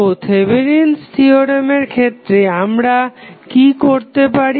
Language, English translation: Bengali, So, what we do in case of Thevenin's theorem